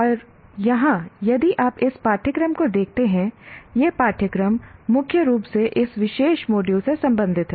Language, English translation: Hindi, And here, if you look at this course, we will mainly for, this course is mainly related to this particular module